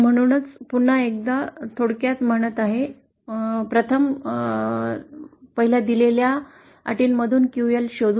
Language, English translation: Marathi, So just to summarise once again, 1st we find out QL from the given conditions